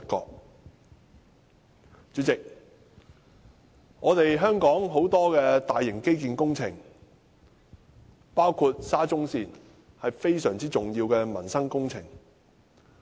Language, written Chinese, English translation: Cantonese, 代理主席，香港很多大型基建工程，包括沙中線，是非常重要的民生工程。, Deputy President there are many major infrastructure projects in Hong Kong including SCL which are related to peoples livelihood